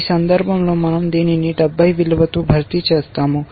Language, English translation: Telugu, In this case we replace this with a value of 70